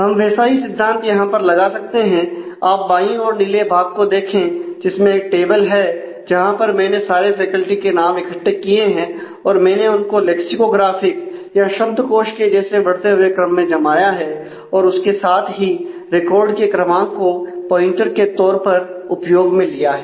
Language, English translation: Hindi, So, we can use that same context same concept now and just look at the left side the blue part of the blue part tableware, what I have done have collected all the names of the faculty and I have sorted them in lexicographically increasing order and with that I have kept the record number as a pointer